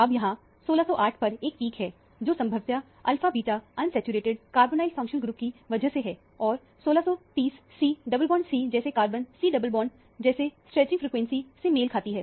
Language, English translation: Hindi, Now, there is a peak at 1608, which is probably due to alpha beta unsaturated carbonyl functional group; and, 1630 corresponds to C double bond C kind of a carbon – C double C kind of a stretching frequency